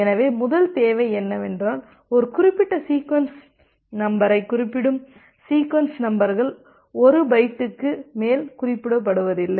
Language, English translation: Tamil, So, the first requirement is that the sequence numbers they must be chosen such that a particular sequence number refer never refers to more than 1 byte